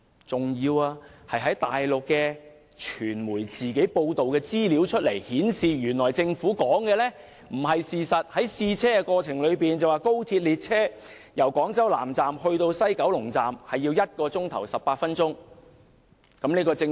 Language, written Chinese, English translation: Cantonese, 此外，大陸傳媒報道顯示，原來政府的說法並非事實，高鐵列車在試車期間，由廣州南站至西九龍站需時1小時18分鐘。, In addition according to Mainland media reports the saying of the Government has turned out to be untrue as during the trial runs of XRL trains the journey time between Guangzhou South Railway Station and the West Kowloon Station was one hour and 18 minutes